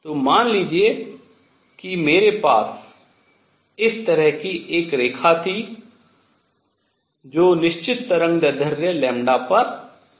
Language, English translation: Hindi, So, suppose I had a line like this, which is coming at certain wavelength lambda